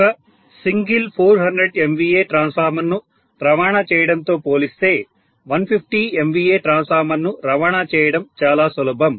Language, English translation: Telugu, Obviously transporting a 150 MVA transformer will be simpler as compared to transporting one single 400 MVA transformer